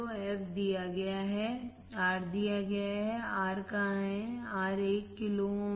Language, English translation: Hindi, So, fc is given R is given right where is R, R is 1 kilo ohm